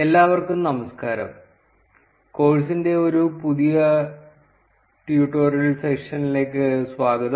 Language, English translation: Malayalam, Hello everyone, welcome to a new tutorial session for the course